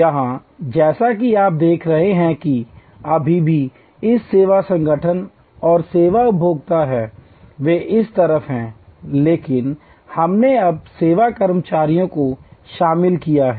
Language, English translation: Hindi, Here, as you see you still have this service organization and service consumer, they are on this side, but we have now included service employees